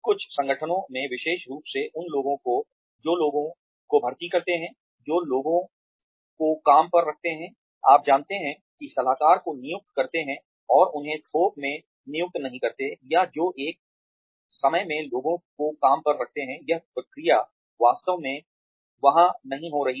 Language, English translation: Hindi, In some organizations, especially those, that recruit people, that hire people on, you know hire consultants, and do not hire them in bulk, or that hire people one at a time, this process is not really happening there